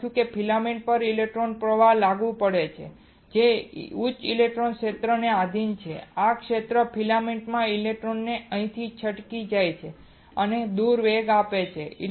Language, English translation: Gujarati, We have written that an electric current is applied to the filament which is subjected to high electric field, this field causes electrons in the filament to escape here and accelerate away